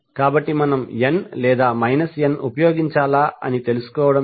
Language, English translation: Telugu, So how to find out whether we should use plus n or minus n